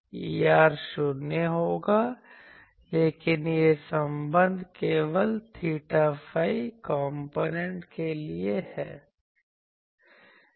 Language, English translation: Hindi, E r will be 0, but this relation is for theta phi components only you can write like this